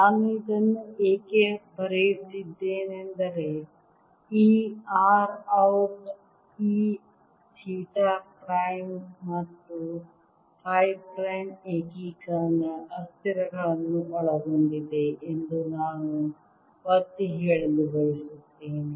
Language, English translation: Kannada, why i am writing this is because i want to emphasize that this r out here includes these theta prime and phi prime, the integration variables